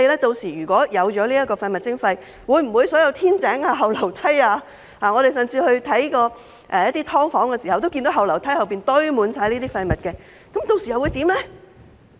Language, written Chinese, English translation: Cantonese, 屆時推行廢物徵費後，會否所有天井、後梯......我們上次巡視"劏房"時，也看到後樓梯堆滿廢物，屆時又會怎樣呢？, Upon the implementation of waste charging will all light wells and rear staircases When we inspected subdivided flats last time we saw those rear staircases filled with waste . What will happen by then?